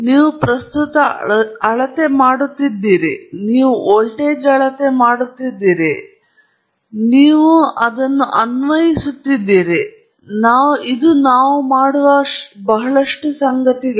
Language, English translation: Kannada, You are measuring current, you are measuring voltage, you are applying a current, measuring a voltage, applying a voltage, measuring current, lot of things we do